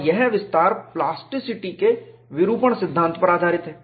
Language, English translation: Hindi, And this extension, is based on the deformation theory of plasticity